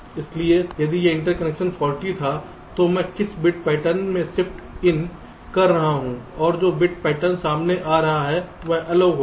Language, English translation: Hindi, so if this interconnection was faulty, then what bit pattern i am in shifting in and the bit pattern that is coming out will be different